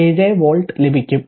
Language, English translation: Malayalam, 947 volt right